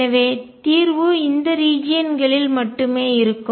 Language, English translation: Tamil, So, solution would exist only in these regions